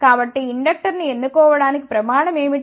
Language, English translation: Telugu, So, what is the criteria for choosing the inductor